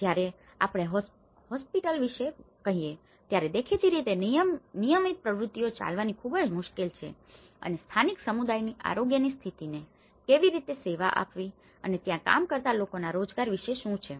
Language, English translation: Gujarati, When we say hospital has been obvious, it is very difficult to carry on the regular activities and how it has to serve the local communityís health conditions and what about the employment of those people who are working